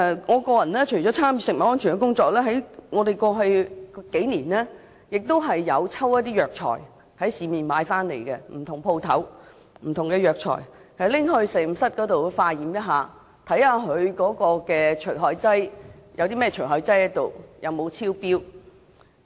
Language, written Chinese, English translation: Cantonese, 我除了參與食物安全工作外，過去數年，我亦有在市面上不同店鋪購買不同的中藥材交給實驗室化驗，看看含有甚麼除害劑及有沒有超標。, Other than participating in the work of food safety over the past few years I have also sent for laboratory tests different kinds of Chinese herbal medicines bought from different shops in the market in order to find out the types of pesticide residues if any in them and whether the limits are exceeded